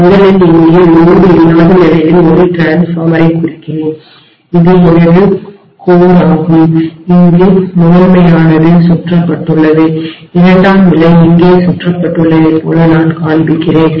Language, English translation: Tamil, Let me first represent a transformer on no load condition here first, this is my core and I am showing as though primary is wound here and secondary is wound here, right